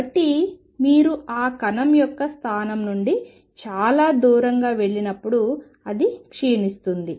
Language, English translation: Telugu, So, that as you go far away from that position of the particle it decay